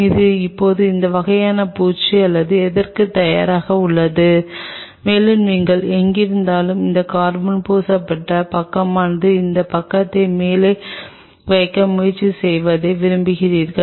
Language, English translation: Tamil, This is now all ready for any kind of coating or anything and preferred that wherever you have that carbon coated side try to keep that side on the top so that on that side